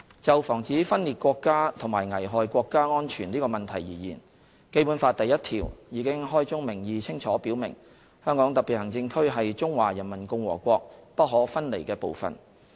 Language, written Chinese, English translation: Cantonese, 就防止分裂國家及危害國家安全這個問題而言，《基本法》第一條已開宗明義清楚表明，"香港特別行政區是中華人民共和國不可分離的部分"。, On the issue of forestalling secession and endangerment of national security it has already been clearly stated upfront in Article 1 of the Basic Law that [t]he Hong Kong Special Administrative Region is an inalienable part of the Peoples Republic of China